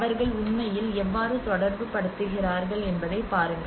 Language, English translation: Tamil, And see how they are actually relating to it